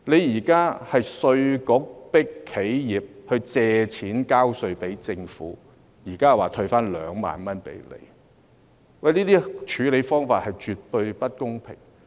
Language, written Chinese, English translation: Cantonese, 現在稅務局迫企業借錢交稅給政府，同時又說退回2萬元，這些處理方法是絕對不公平的。, Now IRD is forcing enterprises to borrow money to pay tax to the Government . At the same time a concession amount of 20,000 is proposed . Such practices are absolutely unfair